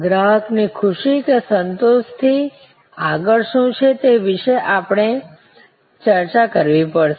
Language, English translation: Gujarati, We will also have to discuss about, what goes beyond satisfaction in the customer delight or wow